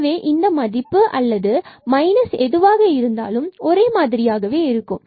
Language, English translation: Tamil, So, this value whether we take plus and minus will remain the same